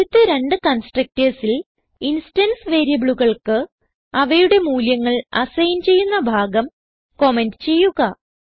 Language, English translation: Malayalam, Now comment the part to assign the instance variables to their values in the first two constructors